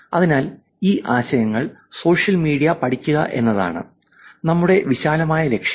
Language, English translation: Malayalam, So, that is the broader goal of studying these concepts on social media